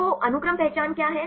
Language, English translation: Hindi, So, what is the sequence identity